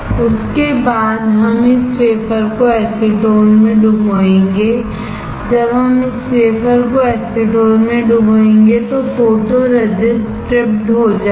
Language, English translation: Hindi, After that we will dip this wafer in acetone, when we dip this wafer in acetone, the photoresist is stripped off